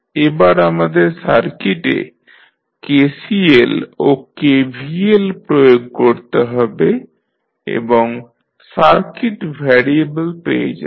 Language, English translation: Bengali, Now, let us apply KCL and KVL to the circuit and obtain the circuit variables